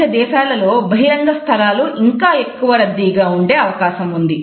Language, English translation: Telugu, Public spaces in Middle Eastern countries tend to be more crowded